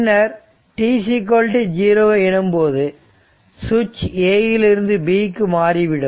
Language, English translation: Tamil, After that at t is equal to 0, switch will move from A to B